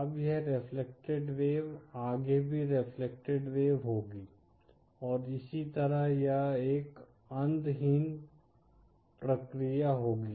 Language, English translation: Hindi, Now this reflected wave will be further reflected wave, and so on that will be an endless process